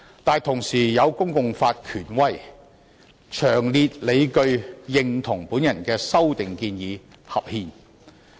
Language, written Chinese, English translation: Cantonese, 但是，同時亦有公共法權威人士詳列理據，認同我的修訂建議合憲。, However some public law gurus do agree that my proposed amendment is constitutional and they have provided detailed justifications for it